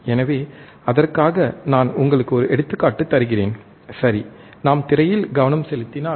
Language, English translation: Tamil, So, for that let me give you an example, all right so, if we focus on screen